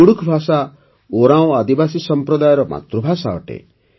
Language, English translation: Odia, Kudukh language is the mother tongue of the Oraon tribal community